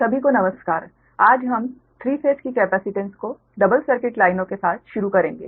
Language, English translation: Hindi, so today we will start that capacitance of three phase, the double circuit lines, right